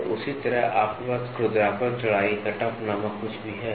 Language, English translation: Hindi, So, in the same way you also have something called as roughness width cutoff